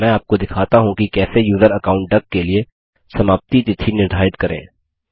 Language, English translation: Hindi, Let me show you how to set a date of expiry for the user account duck